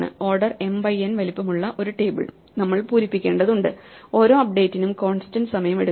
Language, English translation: Malayalam, We need to fill up one table of size order m n each update takes constant time